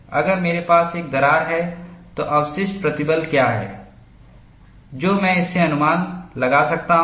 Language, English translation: Hindi, If I have a crack, what is the residual strength that I could anticipate from it